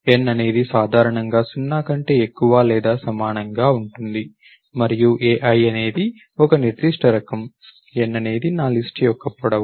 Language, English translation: Telugu, The n is generally greater than or equal to 0 and ai is some particular type, n is a length of my list